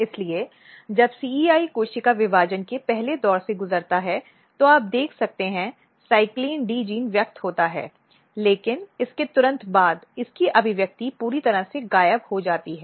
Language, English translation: Hindi, So, when CEI undergo the first round of cell division you can see this genes are expressed this CYCLIN D gene is expresses, but immediately after that it its expression is totally disappearing